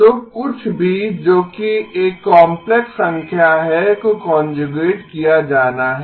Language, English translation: Hindi, So anything that is a complex number is has to be conjugated